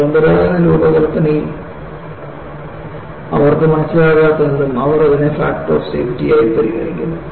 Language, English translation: Malayalam, See, in conventional design, whatever they do not understand, they put it as a factor of safety